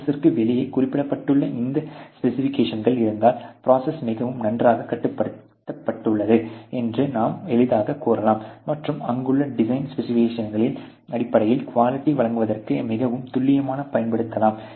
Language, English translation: Tamil, This specifications which are mention there out of the process, you can easily say that the process very well controlled and can used very accurately to render the deliverable quality which is been intended in terms of the design specification which are there